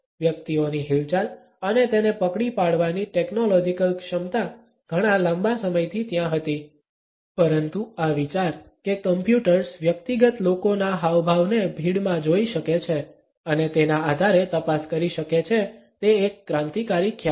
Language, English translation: Gujarati, The technological capability to track and individuals movements had been there for a very long time now, but this idea that computers can look at the individual people gestures in a crowd and can make detections on it is basis is a revolutionary concept